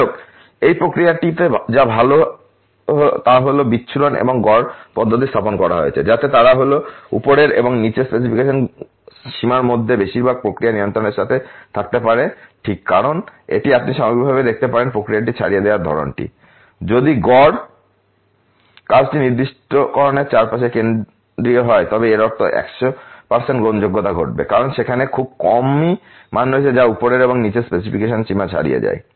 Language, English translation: Bengali, However, what is good in this process is that the dispersion and the mean are placed in the manner, so that they are they can be with little bit of process control well within the upper and lower specification limits ok because this you can see the overall sort of process spread, if the mean work to be central around the specification mean that would really cause almost 100% acceptance, because there are hardly values which a falling outside the upper and lower specification limits